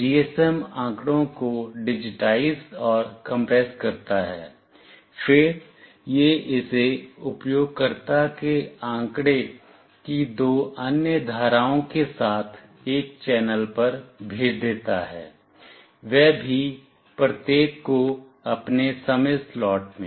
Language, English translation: Hindi, GSM digitizes and compresses data, then it sends it over a channel with two other streams of user data, each in its own time slot